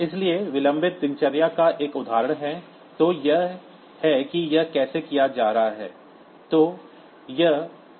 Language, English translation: Hindi, So, an example of say delay routine, so this is how is it being done